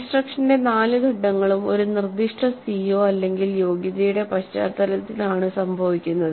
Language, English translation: Malayalam, All the four phases of instruction occur in the context of one specific CO or competency